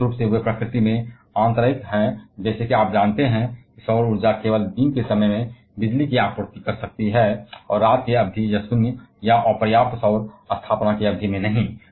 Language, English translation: Hindi, Particularly they are intermittent in nature, like you know solar energy can supply electricity only during the day time and not at night periods or periods of zero or insufficient solar installation